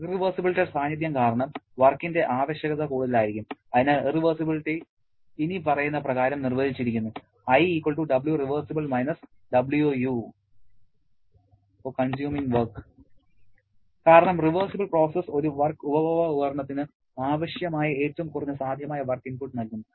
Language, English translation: Malayalam, Because of the presence of irreversibilities, the work requirement will be more, so the irreversibility is defined as Wu W reversible because a reversible process gives the minimum possible work input requirement for a work consuming device